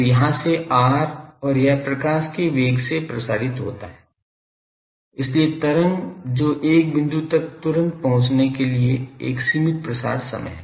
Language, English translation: Hindi, So, from here r and it propagates by velocity of light; so, wave that has a finite propagation time to reach a point instantaneously